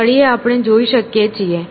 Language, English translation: Gujarati, On the bottom we can see